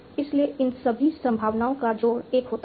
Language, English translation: Hindi, So, all these probabilities are adding up to 1